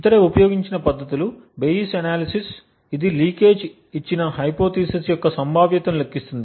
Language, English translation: Telugu, Other techniques used are the Bayes analysis which computes the probability of the hypothesis given the leakage